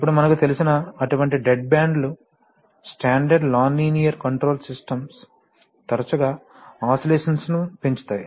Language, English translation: Telugu, Now such dead bands as we know from, you know standard nonlinear control systems often give rise to oscillations